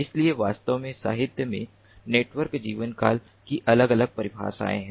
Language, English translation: Hindi, so actually in the literature there are different definitions of network lifetime, ah